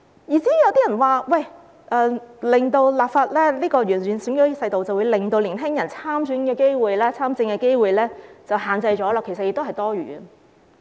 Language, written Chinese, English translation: Cantonese, 有人說，立法完善選舉制度，會令年輕人參選和參政的機會受到限制，其實這是多餘的。, Some people say that legislating to improve the electoral system will restrict young peoples chances of standing for election and participating in politics but this is actually gratuitous